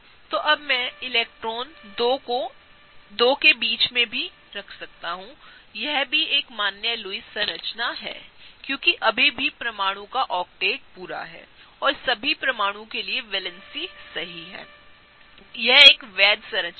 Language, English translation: Hindi, So, now I can put electrons between the two, this is also a valid Lewis structure of the same, because I still have every atom completing an octet, and I still have the right number of valency for being fulfilled for all atoms; this is a valid structure